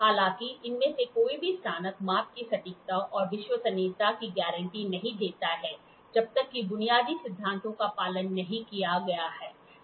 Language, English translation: Hindi, However, neither of these graduates guarantees accuracy and reliability of measurement unless basic principles are adhered to it